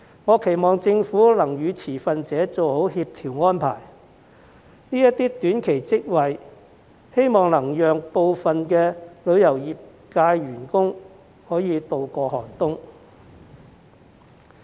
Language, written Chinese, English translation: Cantonese, 我期望政府能與持份者做好協調安排，希望這些短期職位能讓部分旅遊業界員工渡過寒冬。, I hope that the Government will make good coordination arrangements with the relevant stakeholders . Hopefully these short - term posts will help some employees in the tourism industry tide over the difficult period